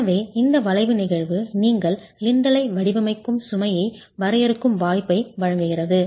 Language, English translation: Tamil, So, this arching phenomenon gives you the possibility of defining the load for which you will design the lintel itself